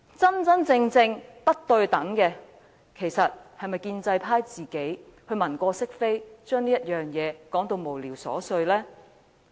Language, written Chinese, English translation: Cantonese, 真正不公平的，是建制派議員文過飾非，把這件事說成是無聊瑣屑。, What is really unfair is that pro - establishment Members gloss over his mistakes and make this incident seem frivolous and trivial